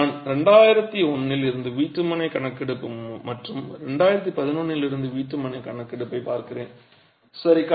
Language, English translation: Tamil, I am looking at the housing census from 2001 and the housing census from 2011